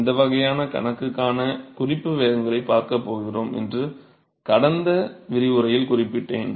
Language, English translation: Tamil, So, I mentioned in the last lecture that we are going to look at the reference velocities for this kind of a problem